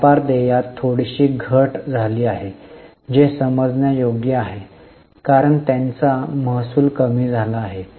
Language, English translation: Marathi, There is a slight decrease in trade payables which is understandable because their revenue has fallen